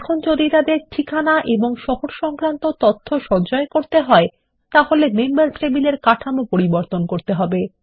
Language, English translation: Bengali, Now if we have to store their address and city information also, we will need to modify the Members table structure